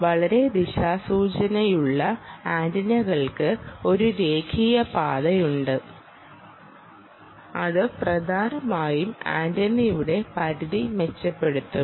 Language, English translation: Malayalam, highly directional antennas, which i have, which have a linear path, essentially, will improve the direction